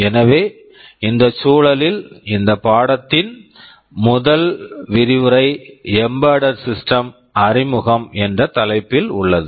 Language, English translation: Tamil, So, in this context the first lecture of this course, is titled Introduction to Embedded Systems